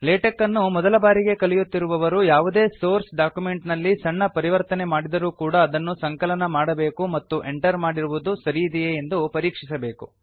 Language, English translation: Kannada, The beginners of latex should compile after every few changes to the source document and make sure that what they have entered is correct